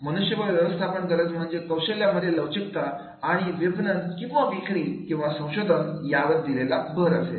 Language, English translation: Marathi, HRM requirements are the skill flexibility and emphasis on marketing or sales and on R&D